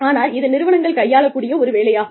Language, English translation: Tamil, But, this is one of the things, that organizations do